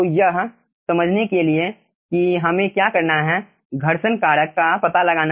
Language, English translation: Hindi, right now, how to find out this friction factor